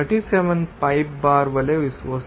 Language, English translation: Telugu, 37 pipe bar